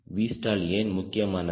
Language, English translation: Tamil, what is so important about v stall